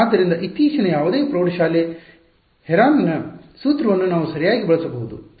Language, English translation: Kannada, So, we can use whatever recent high school Heron’s formula whatever it is right